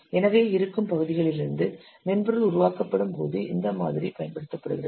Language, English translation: Tamil, So this model is used when software is composed from existing parts